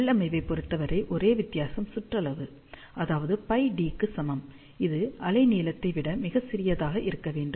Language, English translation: Tamil, As far as the configuration is concerned the only difference here is that circumference, which is equal to pi D has to be much smaller than wavelength